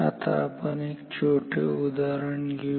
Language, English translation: Marathi, Now, let us take a small example